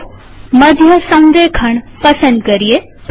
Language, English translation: Gujarati, Let us choose centre alignment